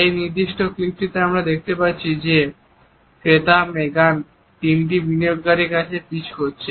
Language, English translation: Bengali, In this particular clip we find that one of the clients Megan has to pitch three investors